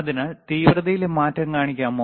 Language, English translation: Malayalam, So, can we please show the change in intensity